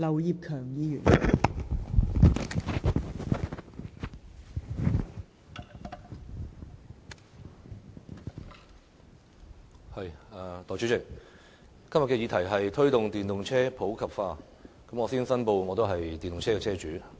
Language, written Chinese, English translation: Cantonese, 代理主席，今天的議題是"推動電動車普及化"，我先申報我是電動車車主。, Deputy President todays motion is Promoting the popularization of electric vehicles . First I declare that I am an electric vehicle EV owner